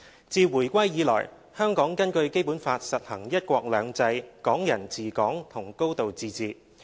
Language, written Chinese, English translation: Cantonese, 自回歸以來，香港根據《基本法》實行"一國兩制"、"港人治港"和"高度自治"。, Since its return to the Motherland Hong Kong has been implementing one country two systems Hong Kong people administering Hong Kong and a high degree of autonomy in accordance with the Basic Law